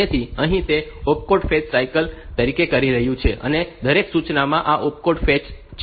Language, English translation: Gujarati, So, here it is doing the opcode fetch cycle, and every instruction has got this opcode fetch in it